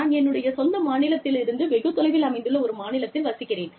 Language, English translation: Tamil, I live in a state, which is very far away, from my home state